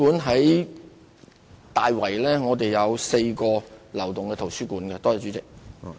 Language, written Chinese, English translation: Cantonese, 例如，大圍有4個流動圖書館服務站。, For example there are four mobile library stops in Tai Wai